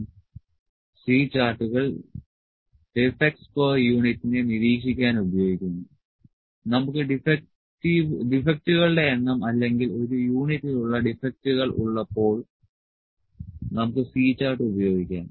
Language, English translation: Malayalam, C charts used to monitor the defects per unit when we have the number of defects, or defects per unit, we can use the C chart